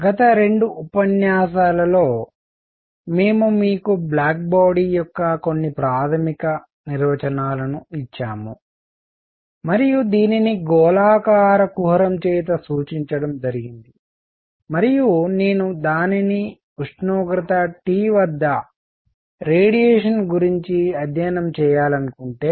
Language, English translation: Telugu, In the previous two lectures, we have given you some basic definitions of a Black Body and represented this by a spherical cavity and if I want to study it the radiation at temperature T